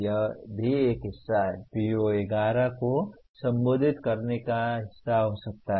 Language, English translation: Hindi, That also is a part of, can be part of addressing PO11